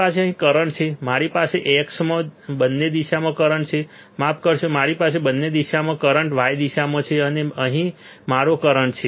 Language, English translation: Gujarati, I have current here I have current in both the directions in x sorry I have current in both the plots in y direction here and here I have current right